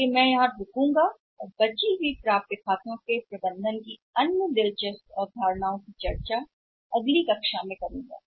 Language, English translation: Hindi, So, I will stop here and remaining many other interesting concepts about the management of accounts receivables we will discuss in the next class